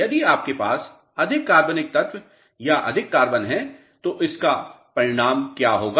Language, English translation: Hindi, If you have more organic matter or more carbon it will result in what